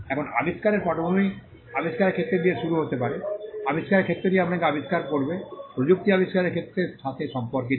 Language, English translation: Bengali, Now, the background of the invention may start with the field of the invention, the field of the invention will tell you to what field of technology does the invention belong to